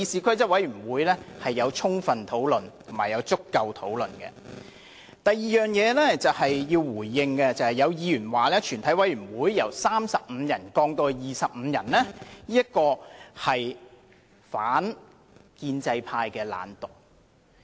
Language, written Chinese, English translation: Cantonese, 我要回應的第二點是，有議員說把全體委員會的會議法定人數由35人降至25人，是因為建制派議員懶惰。, Regarding the second point that I am going to respond to as a Member has said the reason for lowering the quorum of a committee of the whole Council from 35 to 25 is that pro - establishment Members are lazy